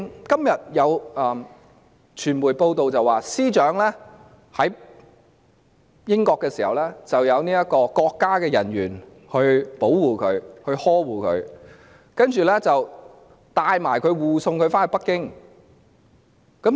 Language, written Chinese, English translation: Cantonese, 今天有傳媒報道，司長在英國時得到國家人員保護和呵護，其後更把她護送至北京。, Today there are media reports that the Secretary for Justice had been protected and cared by State officers in the United Kingdom before she was escorted to Beijing